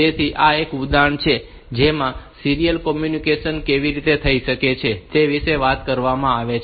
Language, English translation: Gujarati, So, this is an example that talks about how this serial communication can take place